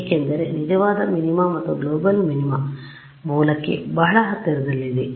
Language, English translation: Kannada, Because the true minima and the global minima are very close to the origin